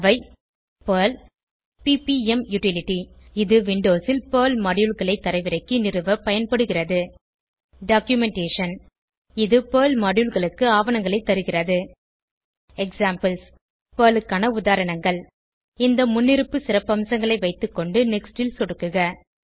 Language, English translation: Tamil, These are Perl, PPM utilty, used to download and install Perl Modules on Windows Documentation which provides the documentation for Perl Modules And examples of Perl Keep all these default features and click on Next